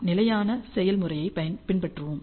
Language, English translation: Tamil, We will follow the standard procedure